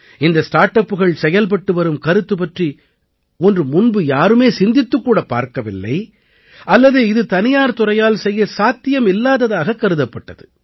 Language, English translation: Tamil, All these startups are working on ideas, which were either not thought about earlier, or were considered impossible for the private sector